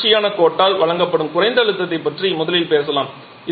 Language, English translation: Tamil, Let us first talk about the low pressure which is given by this continuous line